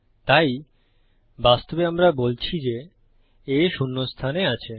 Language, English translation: Bengali, So actually we are saying letter A is in position one